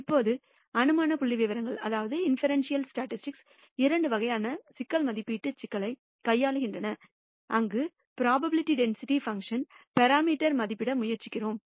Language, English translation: Tamil, Now inferential statistics deals with two kinds of problem estimation problem, where we try to estimate parameters of the probability density function